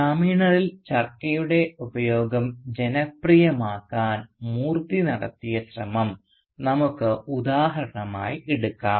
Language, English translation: Malayalam, Let us take for instance Moorthy's attempt to popularise the use of Charka among the villagers